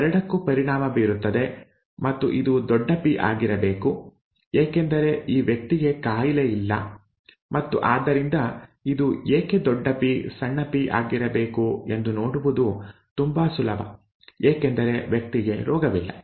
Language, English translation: Kannada, These both are affected and this must have been capital P because this person does not have the disease and therefore it is quite easy to see why this mustÉ must have also been capital P small p because the person does not have the disease